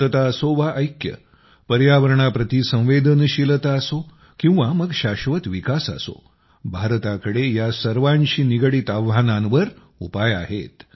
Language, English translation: Marathi, Whether it is peace or unity, sensitivity towards the environment, or sustainable development, India has solutions to challenges related to these